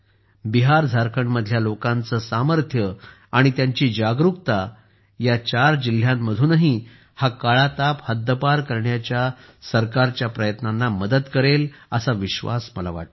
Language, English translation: Marathi, I am sure, the strength and awareness of the people of BiharJharkhand will help the government's efforts to eliminate 'Kala Azar' from these four districts as well